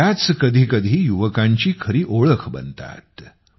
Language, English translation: Marathi, Sometimes, it becomes the true identity of the youth